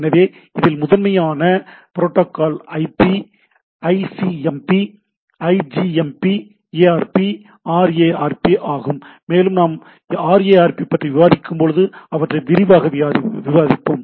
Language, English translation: Tamil, So, predominant protocol in this is the IP, ICMP, IGMP, ARP, RARP and we will discuss those when we discuss at the RARP what are the different, but the major protocol is the IP protocol